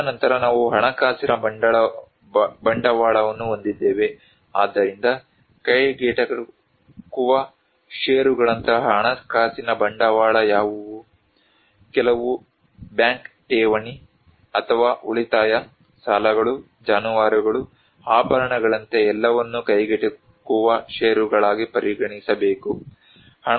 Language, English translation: Kannada, And then we have a financial capital, so what are the financial capital like affordable stocks: like some bank deposit or savings, credits, livestocks, jewelry, all should be considered as affordable stocks